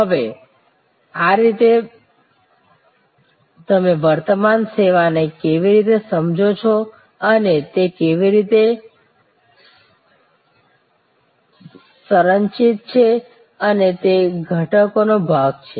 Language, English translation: Gujarati, Now, this is how you understand an existing service and how it is structured and it is constituent’s part